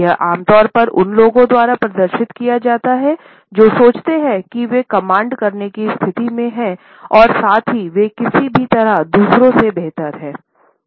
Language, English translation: Hindi, This is commonly displayed by those people, who think that they are in a position to command as well as they are somehow superior to others